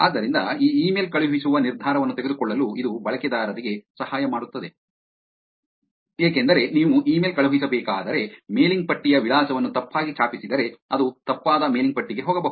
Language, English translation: Kannada, So, this just helps users to make a decision on sending this email, because let us take if you were to send an email, and if you wrongly typed the mailing list address, it could actually end up going to a wrong mailing list